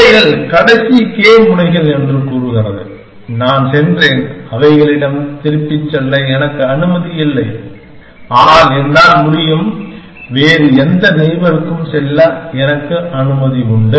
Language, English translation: Tamil, It is saying that these are the last k nodes that I went to and I am not allowed to go back to them, but I can I am allowed to go back to any other neighbor